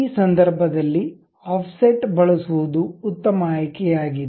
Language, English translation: Kannada, In this case, offset is the best option to really go with